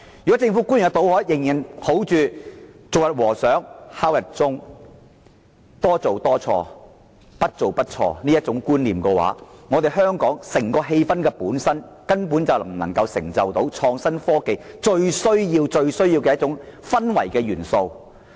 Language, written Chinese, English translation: Cantonese, 如果政府官員仍然抱着"做一天和尚敲一天鐘"、多做多錯，不做不錯的觀念，香港根本不能營造到創新科技最需要的氛圍。, Should they still cling to a passive attitude towards their work and the wrong concept of more work more mistakes and no work no mistakes Hong Kong will definitely be unable to foster a milieu essential to the development of innovation and technology